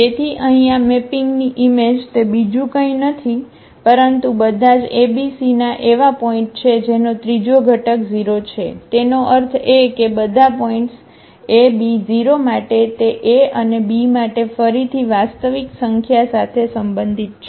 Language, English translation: Gujarati, So, here the image of this mapping is nothing but all the points a b c whose third component is 0; that means, all the points a b 0; for a and b this belongs to again the real number